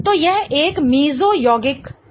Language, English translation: Hindi, So, this one will be a mesocompound